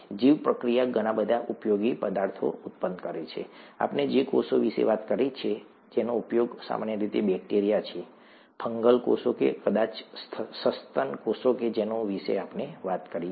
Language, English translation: Gujarati, The bioprocess produces a lot of useful substances, and, in the bioreactor, the cells that we talked about, the cells that are used typically the bacteria that we talked about, the fungal cells that we talked about, maybe mammalian cells that we talked about, right